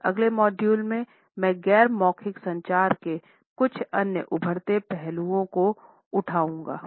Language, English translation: Hindi, In our next module, I would take up certain other emerging aspects of non verbal communication